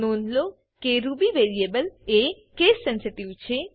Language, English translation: Gujarati, Please note that Ruby variables are case sensitive